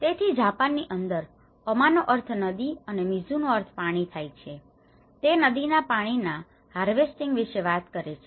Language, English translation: Gujarati, So, in Japanese Ama means river and mizu is water so, it talks about the river water harvesting